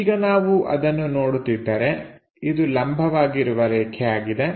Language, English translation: Kannada, Now if we are looking at that this is the perpendicular line